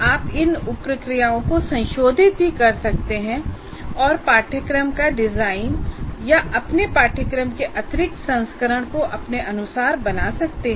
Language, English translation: Hindi, You can also modify the sub processes and make the design of the course or the addy version of your course your own